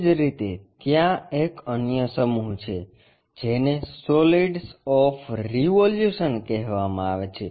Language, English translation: Gujarati, Similarly, there is another set called solids of revolution